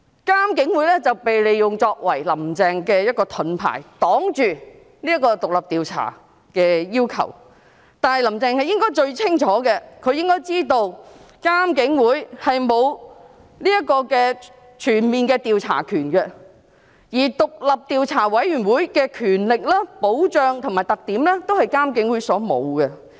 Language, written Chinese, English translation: Cantonese, 監警會被利用作為"林鄭"的盾牌，擋住獨立調查的要求，但是，"林鄭"應該最清楚知道，監警會並無全面的調查權，而獨立調查委員會的權力、保障和特點都是監警會沒有的。, IPCC was used as a shield for Carrie LAMs to reject the request for an independent inquiry but Carrie LAM should know too well that IPCC does not have comprehensive power of investigation . IPCC lacks the power protection and characteristics of an independent commission of inquiry